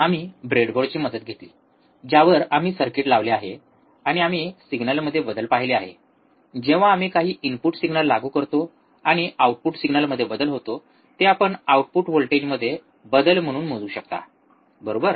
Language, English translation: Marathi, We took the help of breadboard, on which we have mounted the circuit, and we have seen the change in the signals, when we apply some input signal and a change in output signal which you can measure as change in voltages, right